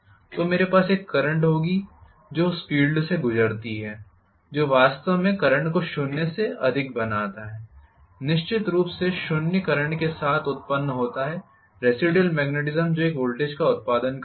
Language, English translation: Hindi, So, I will have a current flowing through the field that is actually make the current more then 0, definitely originate with 0 current, residual magnetism that was producing a voltage